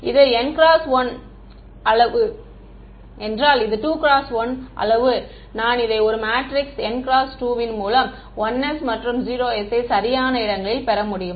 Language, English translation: Tamil, Right if this is size n cross 1 and this is size 2 cross 1 I can get this to be an n cross 2 matrix which is this have 1s and 0s in the right places